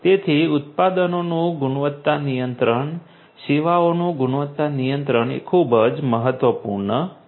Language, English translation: Gujarati, So, quality control of the products quality control of the services is what is very very important